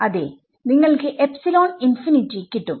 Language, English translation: Malayalam, Yeah you just get an epsilon infinity